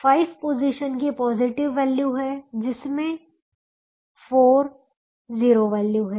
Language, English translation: Hindi, five positions have positive values, four of them zero